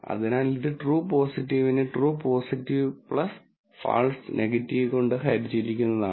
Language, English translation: Malayalam, So, this would be true positive divided by true positive plus false positive